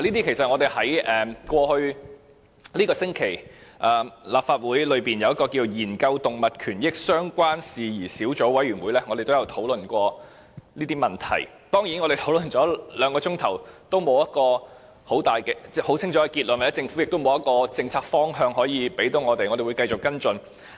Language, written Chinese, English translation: Cantonese, 事實上，在這個星期，立法會的研究動物權益相關事宜小組委員會亦曾討論這些問題，但兩個小時的討論卻沒有很清楚的結論，而政府亦沒有指出其政策方向讓我們繼續跟進。, As a matter of fact these issues have been discussed by the Legislative Council Subcommittee to Study Issues Relating to Animal Rights earlier this week . However after discussing for two hours the Subcommittee failed to reach any concrete conclusion . Nor has the Government given a policy direction for us to follow up